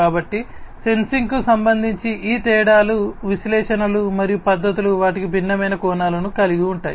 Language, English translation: Telugu, So, these differences with respect to sensing analytics and methodologies are with they have their own different facets